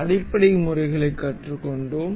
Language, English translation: Tamil, So, we have learnt we have learnt the basic methods